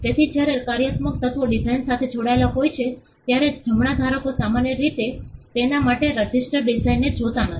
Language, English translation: Gujarati, So, when functional elements are tied to the design Right holders normally do not go and get a registered design for it